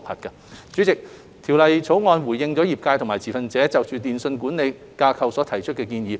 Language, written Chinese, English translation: Cantonese, 代理主席，《條例草案》回應了業界和持份者就電訊規管架構所提出的建議。, Deputy President the Bill has responded to the suggestions made by the industry and stakeholders on the telecommunications regulatory framework